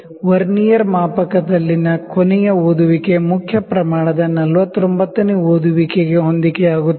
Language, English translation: Kannada, The last reading on the Vernier scale is coinciding with the 49th reading of the main scale